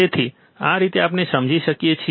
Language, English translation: Gujarati, So, this is how we can understand